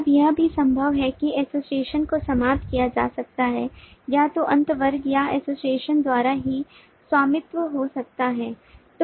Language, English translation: Hindi, now it is also possible the association end could be owned either by the end class or by the association itself